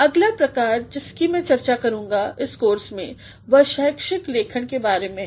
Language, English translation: Hindi, The next type that I will be focusing in this course is about academic writing